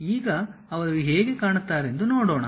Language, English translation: Kannada, Now, let us look at how they look like